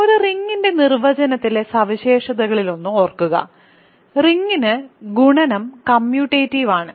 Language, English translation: Malayalam, So, remember one of the properties of in the definition of a ring was that ring is the multiplication of the ring is commutative